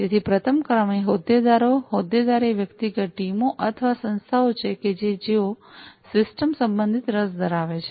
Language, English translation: Gujarati, So, number one is the stakeholder stakeholders are individuals teams or organizations having interest concerning the system